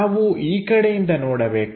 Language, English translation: Kannada, Let us look at from side view